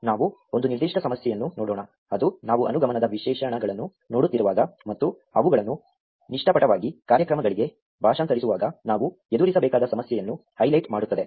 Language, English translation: Kannada, Let us look at one particular problem, which will highlight an issue that we have to deal with when we are looking at inductive specifications and naively translating them into programs